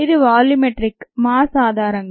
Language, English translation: Telugu, because this is on a volumetric basis